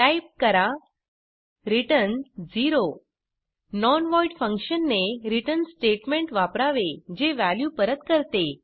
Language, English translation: Marathi, Type return 0 A non void function must use a return statement that returns a value